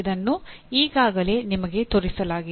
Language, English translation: Kannada, It has been already shown to you